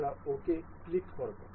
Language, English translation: Bengali, We will click on ok